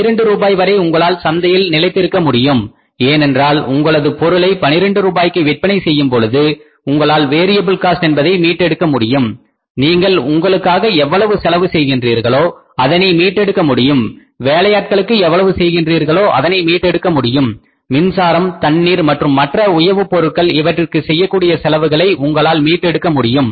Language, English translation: Tamil, If it is up to 12 rupees you can sustain in the market because by selling the product at 12 rupees you are able to recover, whatever the raw material cost you are paying you are able to recover, whatever the labor cost you are paying you are able to recover whatever the other overheads cost, power water and other lubricants cost you are paying you are able to recover, whatever the other overheads cost, power, water and other lubricants cost you are able to recover the cost, you are able to recover the fixed cost and profitability is zero